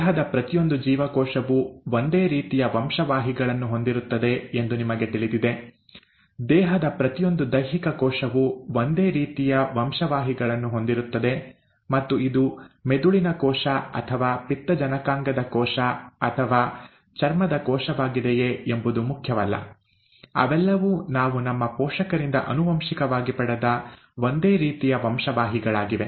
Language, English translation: Kannada, You know that each cell in the body has the same set of genes; each somatic cell in the body has the same set of genes, and it does not matter whether it is the brain cell or the liver cell or a skin cell and so on so forth, they all have the same set of genes that we inherited from our parents